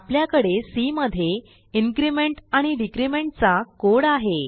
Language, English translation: Marathi, Here, we have the code for increment and decrement operators in C